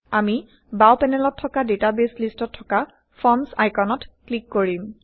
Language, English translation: Assamese, We will click on the Forms icon in the database list on the left panel